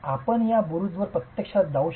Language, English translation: Marathi, You can actually go up this tower